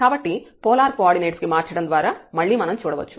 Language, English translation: Telugu, So, again we can see by changing to the polar coordinate also